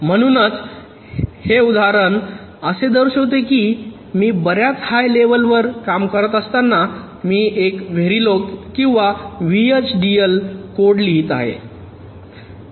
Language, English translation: Marathi, so this example actually shows that even when i am working at a much higher level, i am writing a very log or v, h, d, l code